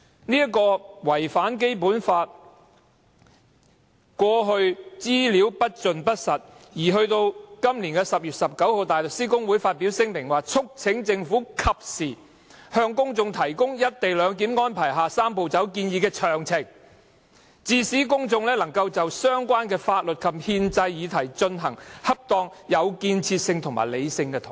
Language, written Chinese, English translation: Cantonese, 就違反《基本法》的顧慮，過去政府披露的資料不盡不實，大律師公會於是在今年10月19日發表聲明，"促請政府及時向公眾提供'一地兩檢'安排下'三步走'建議的詳情，致使公眾能就相關法律及憲制議題進行恰當、有建設及理性的討論"。, Given the public concern about non - compliance with the requirements of the Basic Law and as the information previously disclosed by the Government is incomplete and untruthful the Bar Association issued a statement on 19 October this year to urge the Government to keep the general public timeously informed of the details of the Three - step Process to facilitate a proper constructive and rational discussion on the legal and constitutional issues involved